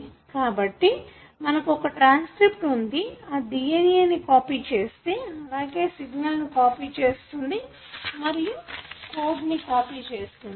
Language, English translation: Telugu, So, you have a transcript which pretty much, copies the DNA and that is how the signal is, is copied or the code is copied